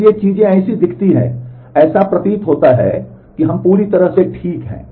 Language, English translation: Hindi, So, things look like that it appears that we are we are perfectly ok